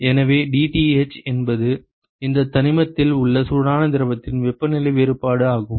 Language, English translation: Tamil, So, dTh is the temperature difference in the hot fluid in this element